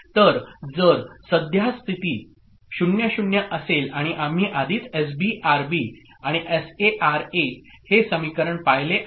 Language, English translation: Marathi, So if the current state is 0,0, and we have already seen the equation for S B R B and S A R B and S A R A, okay